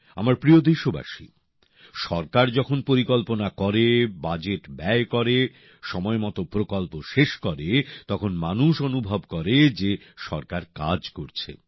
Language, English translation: Bengali, when the government makes plans, spends the budget, completes the projects on time, people feel that it is working